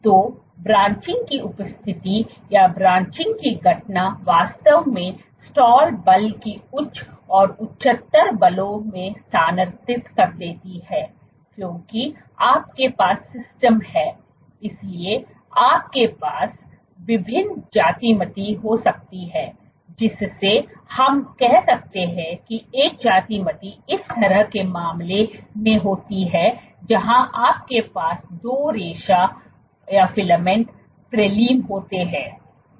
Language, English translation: Hindi, So, the presence of branching or the occurrence of branching really shifts the stall force to higher and higher forces, because you have systems, so, you can have various geometries let us say one geometry this kind of case, where you have two filaments prelim